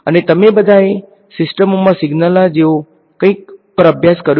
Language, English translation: Gujarati, And all of you have done the course on something like signals in systems